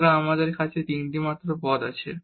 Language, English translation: Bengali, So, we have only this these three terms here